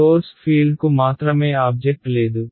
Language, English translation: Telugu, Only the source field there is no object